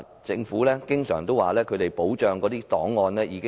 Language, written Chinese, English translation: Cantonese, 政府經常表示已妥善保存檔案。, The Government always indicates that the records have been properly kept